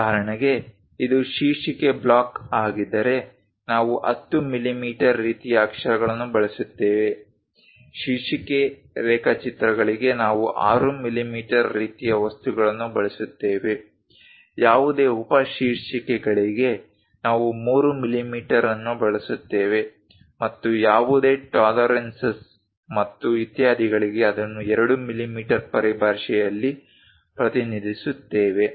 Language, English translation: Kannada, For example, if it is title block, we use 10 millimeters kind of letters; title drawings we use 6 millimeter kind of things, any subtitles we use 3 millimeters and any tolerances and so on represented it in terms of 2 millimeters